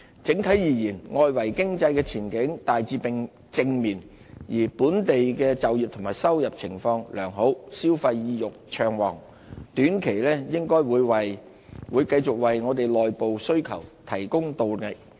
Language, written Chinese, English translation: Cantonese, 整體而言，外圍經濟的前景大致正面，而本地就業及收入情況良好，消費意欲暢旺，短期應該會繼續為內部需求提供動力。, On the whole the outlook of the external economy is largely positive . Consumer sentiment in Hong Kong is well underpinned by the favourable job and income conditions and will keep boosting internal demand in the short run